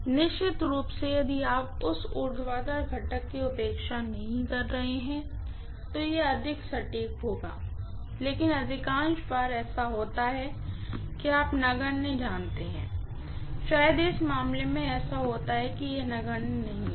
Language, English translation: Hindi, Definitely, if you do not neglect that vertical component it will be more accurate but most of the times it happens to be you know negligible, maybe in this case it so happens that it is not negligible